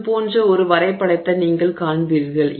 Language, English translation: Tamil, So, you will see something like this